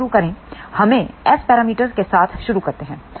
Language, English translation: Hindi, Let us start with S parameters